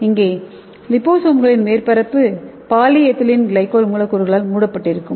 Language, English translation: Tamil, So the surface of the liposomes will be covered with polyethylene glycol molecules